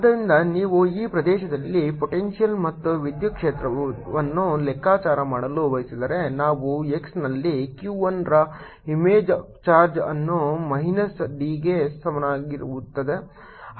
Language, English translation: Kannada, so if you want to calculate the potential and electric field in this region, we place an image charge q one at x equals minus d